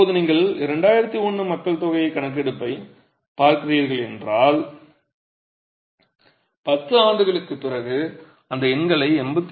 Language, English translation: Tamil, Now if you were to look at the 2011 census, 10 years later look at those numbers, they add up to 85